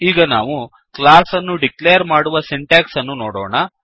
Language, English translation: Kannada, Now, let us see the syntax for declaring classes